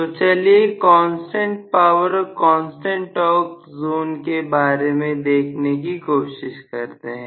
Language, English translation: Hindi, So, let us try to see what we, do you know corresponding to constant power and constant torque zone